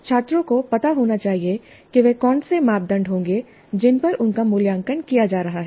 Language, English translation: Hindi, Students must know what would be the criteria on which they are going to be assessed and evaluated